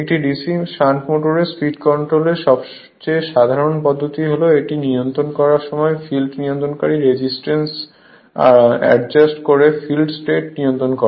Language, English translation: Bengali, The the most common method of speed control of a DC shunt motor is when controlling it is field strength by adjusting the field regulating resistance